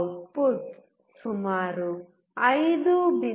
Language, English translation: Kannada, The output has to be around 5